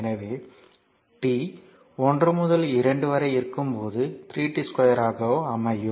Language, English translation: Tamil, So, 1 to 2 it will be 3 t square into dt